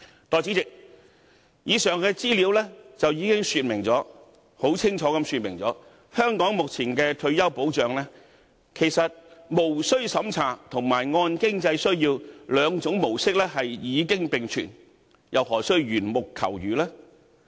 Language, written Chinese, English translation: Cantonese, 代理主席，以上資料已經清楚說明，在香港目前的退休保障中，無須審查及按經濟需要兩種模式都已經並全，又何須緣木求魚呢？, Deputy President all this clearly shows that both models―non - means - tested and financial need - based―are available in Hong Kongs current retirement protection so why should we seek a hare in a hens nest?